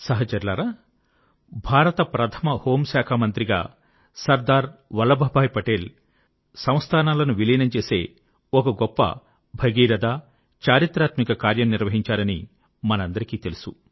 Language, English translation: Telugu, Friends, all of us know that as India's first home minister, Sardar Patel undertook the colossal, historic task of integrating Princely states